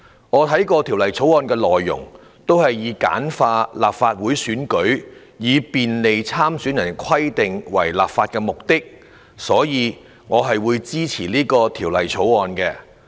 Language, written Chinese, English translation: Cantonese, 我看過《條例草案》的內容，也是以簡化立法會選舉及便利參選人的規定為立法目的，所以我會支持《條例草案》。, I will support the Bill as I have learnt from its content that the legislative intent is to simplify the electoral provisions for the Legislative Council election and facilitate candidates